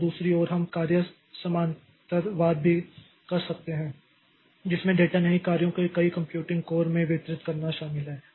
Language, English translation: Hindi, On the other hand, we can have task parallelism also that involves distributing not data tasks, not data, but tasks across the multiple computing codes